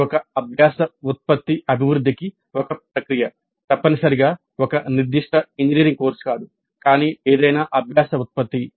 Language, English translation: Telugu, This is a process for development of a learning product, not necessarily a specific engineering course but any learning product